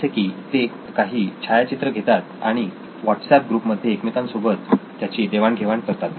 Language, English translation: Marathi, Like they collect pictures and put it up in their WhatsApp group